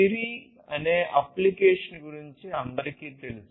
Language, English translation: Telugu, Everybody knows about the application Siri